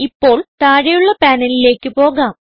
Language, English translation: Malayalam, Now lets move to the panel below